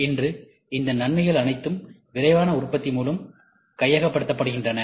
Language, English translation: Tamil, Today, all these advantages are been taken over by rapid manufacturing ok